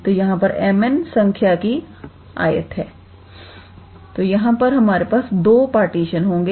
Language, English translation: Hindi, So, m n number of rectangles here so, here we will have these two partitions